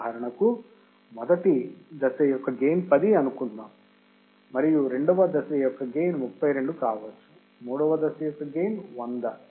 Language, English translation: Telugu, For example, gain of the stage may be 10 and gain of stage may be 32, the gain of third stage may be 100 right